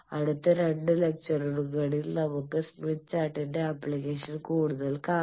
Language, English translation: Malayalam, We will see more on application smith chart in the next 2 lectures